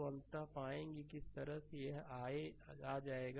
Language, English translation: Hindi, So, ultimately we will find that this this way it will come